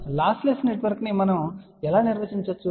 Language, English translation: Telugu, But how we define lossless network